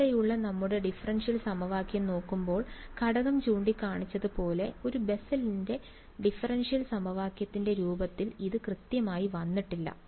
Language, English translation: Malayalam, So, looking at our differential equation over here, this is not yet exactly in the form of the Bessel’s differential equation because as was pointed out the factor of